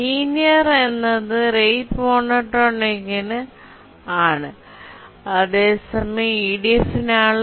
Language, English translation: Malayalam, So, the linear for R rate monotonic and log n for EDF